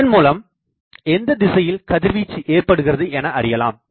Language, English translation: Tamil, So, by that you can find out in which direction radiation is taking place